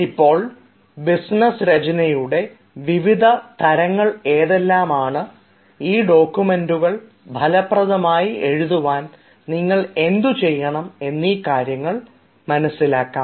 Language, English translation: Malayalam, now, what are the types of this business writing and what should you do to make yourself efficient at writing this documents